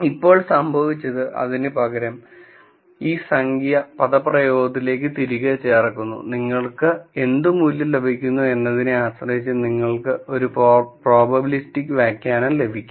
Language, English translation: Malayalam, Now, what has happened is instead of that, this number is put back into this expression and depending on what value you get you get a probabilistic interpretation